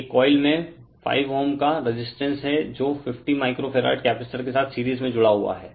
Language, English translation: Hindi, A coil having a 5 ohm resistor is connected in series with a 50 micro farad capacitor